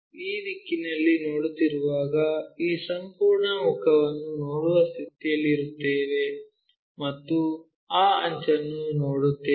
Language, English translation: Kannada, So, when we are looking from this direction this entire face we will be in a position to see and that edge we will see